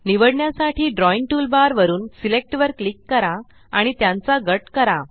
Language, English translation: Marathi, Lets click Select from the Drawing toolbar to select and then group them